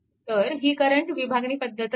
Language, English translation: Marathi, So, it is current division method only